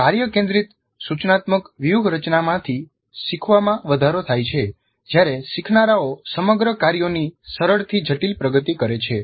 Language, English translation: Gujarati, So learning from task centered instructional strategy is enhanced when learners undertake a simple to complex progression of whole tasks